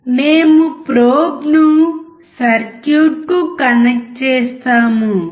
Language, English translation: Telugu, We connect the probe to the circuit